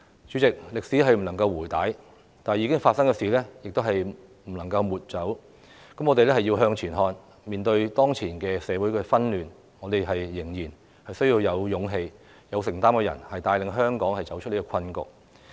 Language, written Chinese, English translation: Cantonese, 主席，歷史不能回帶，已發生的事情亦不能抹走，我們要向前看，面對當前社會的紛亂，我們仍然需要有勇氣、有承擔的人，帶領香港走出困局。, The past cannot be erased . We have to look ahead . In the face of the current social unrest we still need a person with courage and commitment to lead Hong Kong out of this predicament